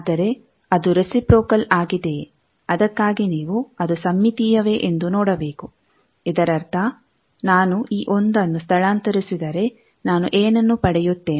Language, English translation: Kannada, But whether it is reciprocal, for that you see that is it symmetry; that means, if I transpose this1 what I will get